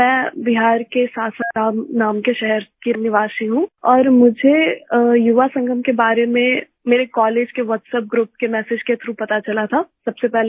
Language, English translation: Hindi, I am a resident of Sasaram city of Bihar and I came to know about Yuva Sangam first through a message of my college WhatsApp group